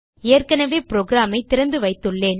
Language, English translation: Tamil, I have already opened the program